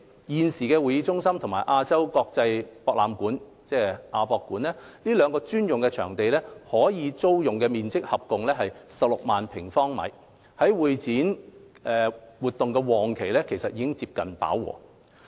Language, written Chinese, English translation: Cantonese, 現時會展中心和亞洲國際博覽館這兩個專用會展場地的可租用面積合共約16萬平方米，在會展活動旺季期間已接近飽和。, The two existing dedicated CE venues namely HKCEC and the AsiaWorld - Expo providing a total rentable space of about 160 000 sq m have been almost fully utilized during peak periods of CE events